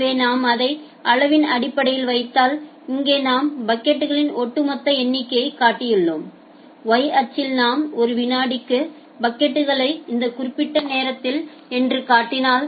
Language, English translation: Tamil, So, if I just put it in terms of amount of so, here we have shown the cumulative number of packets, if in the y axis if I show packets per second and in this type time